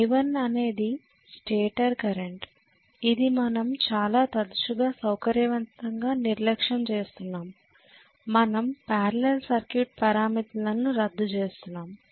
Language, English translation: Telugu, I1 is the stator current we had been which we had been neglecting conveniently very often we are doing the parallel circuit parameters we cancelled out